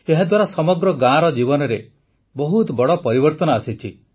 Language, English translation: Odia, This has brought a big change in the life of the whole village